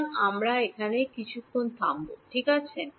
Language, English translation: Bengali, So, we will take a pause over here ok